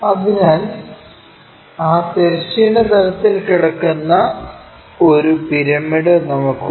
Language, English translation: Malayalam, So, we have a pyramid which is laying on that horizontal plane